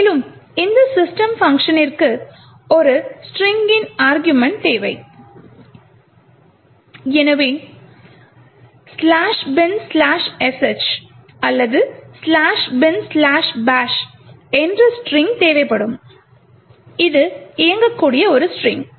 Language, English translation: Tamil, Also what is required is a string argument to this system function, so we will require string such as /bin/sh or /bin/bash, which is a string comprising of an executable